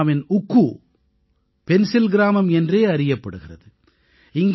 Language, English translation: Tamil, In Pulwama, Oukhoo is known as the Pencil Village